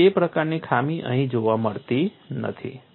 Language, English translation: Gujarati, So, that kind of defect is not seen here